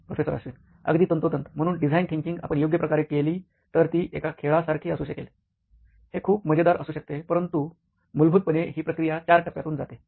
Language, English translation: Marathi, Exactly, so design thinking if you do it right can be like a game, it can be a lot of fun, but essentially, it goes through 4 phases